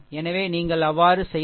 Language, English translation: Tamil, So, if you do so, look this 2